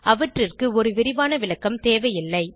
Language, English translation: Tamil, They dont need a detailed description